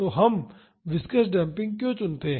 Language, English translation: Hindi, So, why do we choose viscous damping